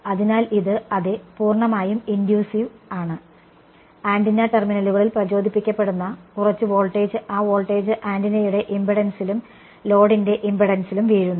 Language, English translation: Malayalam, So, this is the same is that fairly intuitive right some voltage is induced across the antenna terminals that voltage is falling across both the impedance of the antenna and the impedance of the load